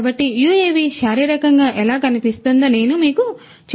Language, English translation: Telugu, So, let me just show you how a UAV looks physically